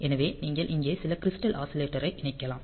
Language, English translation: Tamil, So, you can connect some crystal oscillator here